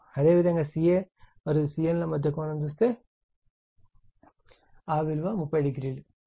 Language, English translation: Telugu, And if you look ca and cn, it is 30 degree right